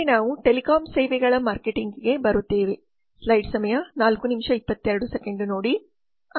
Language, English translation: Kannada, next we come to telecom services marketing